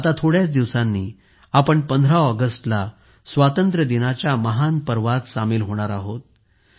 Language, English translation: Marathi, In a few days we will be a part of this great festival of independence on the 15th of August